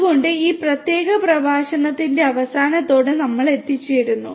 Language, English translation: Malayalam, So, with this we come to an end of this particular lecture